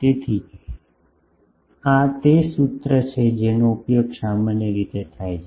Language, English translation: Gujarati, So, this is the formula that is generally used